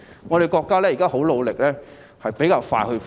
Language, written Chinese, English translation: Cantonese, 我們的國家現時很努力，相信會比較快恢復。, Our country is making enormous efforts and will presumably recover faster